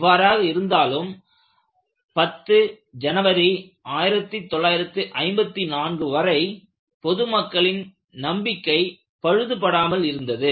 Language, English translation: Tamil, With all thus, the public confidence was intact until 10th January 1954